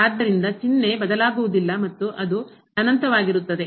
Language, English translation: Kannada, So, sign will not change and it will be plus infinity